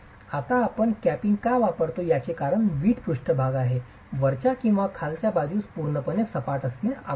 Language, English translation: Marathi, Now, the reason why we use capping is the brick surface at the top or the bottom need not necessarily be completely flat